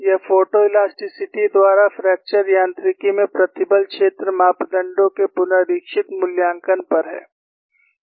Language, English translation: Hindi, This is on Evaluation of stress field parameters in fracture mechanics by photoelasticity revisited